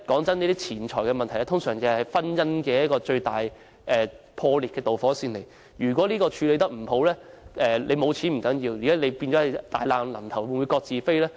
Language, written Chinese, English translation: Cantonese, 坦白說，錢財問題通常是婚姻破裂的導火線，如果這問題處理得不好，沒有錢並不重要，但夫妻會否大難臨頭各自飛呢？, Frankly the money problem is usually the immediate cause of a broken marriage . It does not matter if there is no money but will a couple go their separate ways in difficult times if this problem is not handled properly?